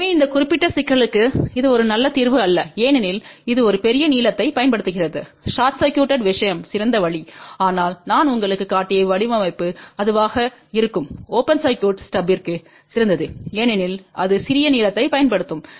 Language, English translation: Tamil, So, for this particular problem this is not a good solution because it uses a larger length, a short circuited thing is better option, but the design which I just showed you that would be better for a open circuit stub because that will use a smaller length